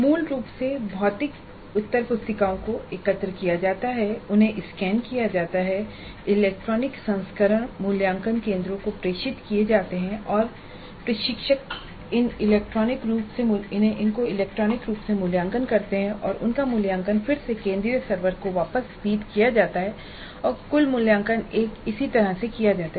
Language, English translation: Hindi, Basically the answer sheets, physical answer sheets are collected, they are scanned and the electronic versions are transmitted to the evaluation centers and the instructors evaluate these scripts in the electronic form and their evaluations are again fed back to the central servers and the total evaluation is done by a tool